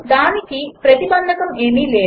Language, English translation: Telugu, There is no restriction for it